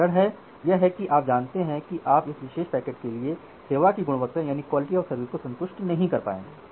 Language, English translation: Hindi, The reason is that you know that you will not be able to satisfy the quality of service for this particular packet